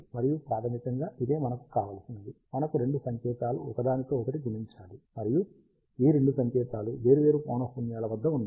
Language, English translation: Telugu, And this is basically what we want, we have two signals multiplying with each other, and these two signals are at different frequencies